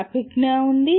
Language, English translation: Telugu, There is cognitive